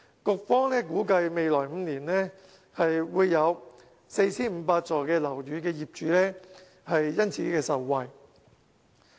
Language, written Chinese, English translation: Cantonese, 局方估計，未來5年會有約 4,500 幢樓宇業主因而受惠。, The Bureau estimates that owners of about 4 500 buildings will benefit from this measure in the next five years